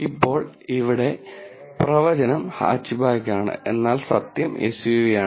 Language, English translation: Malayalam, Now, here the prediction is hatchback, but the truth is SUV